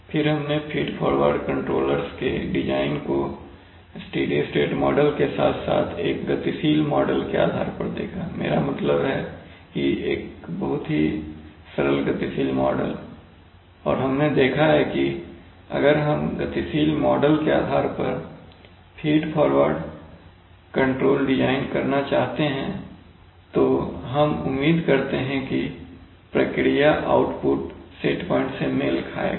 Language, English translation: Hindi, Then we have seen the design of feed forward controllers both based on a steady state model as well as a dynamic model, I mean a very simple dynamic model and we have seen that if we want to make design a feed forward controller based on dynamic models and we expect that it will match the, that is the process output will from point to point will match the set point